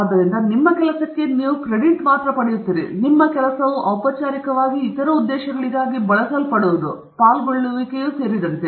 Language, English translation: Kannada, So, not only you get credit for your work, your work then gets formally used for other purposes including forming polices and so on